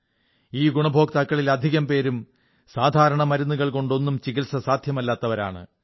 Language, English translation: Malayalam, And most of these beneficiaries were suffering from diseases which could not be treated with standard medicines